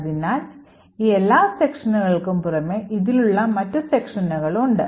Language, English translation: Malayalam, So, in addition to all of these columns, there are other columns like this